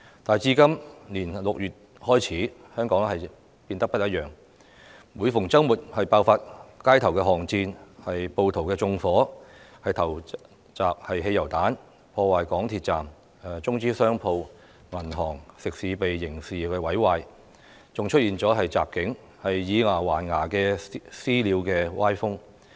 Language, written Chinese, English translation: Cantonese, 但自今年6月開始，香港變得不一樣：每逢周末爆發街頭巷戰，暴徒縱火、投擲汽油彈、破壞港鐵站；中資商鋪、銀行、食肆被刑事毀壞；更出現襲警、以牙還牙的"私了"歪風。, Hong Kong however is no longer the same since June this year . Street battles broke out every weekend . Rioters committed arson threw petrol bombs vandalized MTR stations and criminally damaged Chinese - capital shops banks and restaurants